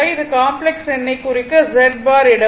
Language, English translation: Tamil, It just to represent complex number you put Z bar